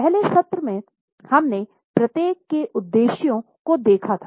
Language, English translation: Hindi, In the first session we had seen the purposes of each of these statements